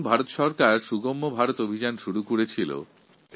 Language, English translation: Bengali, That day we started the 'Sugamya Bharat' campaign